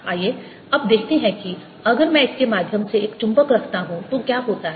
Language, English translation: Hindi, let us now see what happens if i put a magnet through this